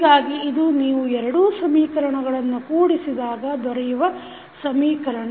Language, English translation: Kannada, So, this is equation which you get when you combine both of the equations